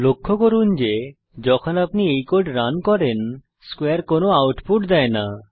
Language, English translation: Bengali, Note that when you run this code, square returns no output